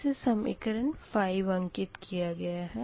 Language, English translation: Hindi, this is equation five, right